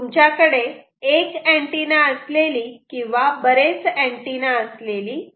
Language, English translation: Marathi, you can have mechanisms where you can use single antenna or you can use multiple antenna